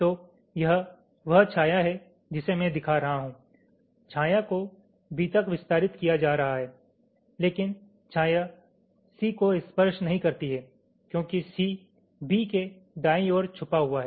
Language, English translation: Hindi, the shadow is being extended to b, but the shadow does not touch c because c is hidden by b right